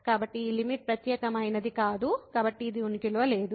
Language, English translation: Telugu, So, this limit is not unique and hence it does not exist